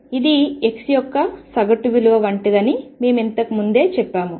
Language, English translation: Telugu, And we said earlier that this is like the average value of x